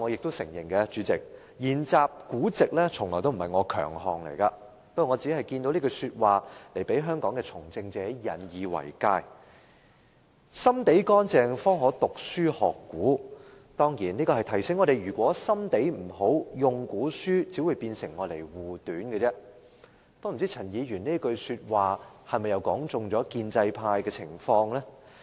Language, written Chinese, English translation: Cantonese, 代理主席，我承認研習古籍從不是我的強項，不過我看到這一句話，希望讓香港的從政者引以為戒："心地乾淨方可讀書學古"，當然是要提醒我們，心地不好，引用古書只會變成護短，不知道這句話又是否道中了建制派的情況？, Deputy President I admit that when it comes to the study of ancient books it is never my strength but I have come across a certain remark which I hope politicians in Hong Kong will take it as a warning . It reads Only pure in heart can a person engage in learning from the past . This reminds us that if we do not have a pure heart quoting from ancient books will defend the wrongdoings